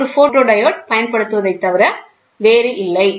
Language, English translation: Tamil, That is nothing but a photodiode is used